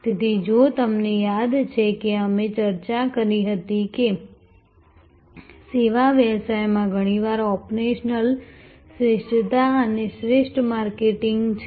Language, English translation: Gujarati, So, that is why, if you remember we had discussed that in service business often operational excellence is the best marketing